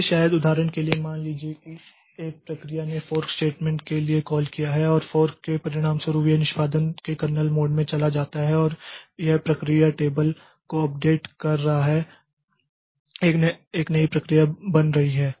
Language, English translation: Hindi, So, maybe for example suppose a process has given call to the fork statement, okay, and as a result of fork, so it goes into the kernel mode of execution and there it is updating the process table